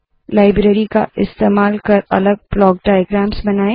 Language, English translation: Hindi, Using the library, create entirely different block diagrams